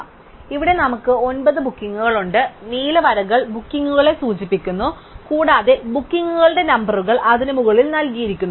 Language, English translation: Malayalam, So, here we have nine bookings, the blue lines indicate the bookings and the numbers of the bookings are given above it